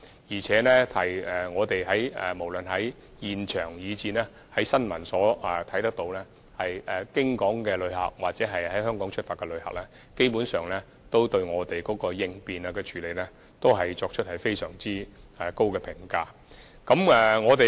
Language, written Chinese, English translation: Cantonese, 另外，我們無論在現場或從新聞報道也能看到，過境旅客或在香港出發的旅客，基本上都對我們的應變措施，給予非常高的評價。, Besides we can see either on the scene or from the news that basically cross - border visitors or travellers departing from Hong Kong have a very high opinion of our contingency measures